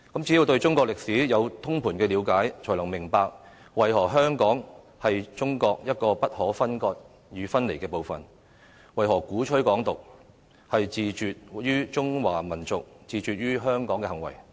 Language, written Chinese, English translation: Cantonese, 只有對中國的歷史有通盤了解，才能明白為何香港是中國一個不可分割與分離的部分，為何鼓吹港獨是自絕於中華民族，自絕於香港的行為。, Only by gaining a thorough understanding of the history of China can we understand why Hong Kong is an inalienable and inseparable part of China and why those who advocate Hong Kong independence are alienating themselves from the Chinese nation and Hong Kong